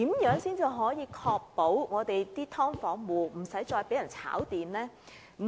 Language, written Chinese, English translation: Cantonese, 如何才能確保"劏房"租戶不再被"炒電"？, How can we ensure that SDU landlords will not speculate on electricity?